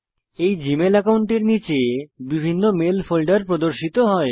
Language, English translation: Bengali, Under this Gmail account, various mail folders are displayed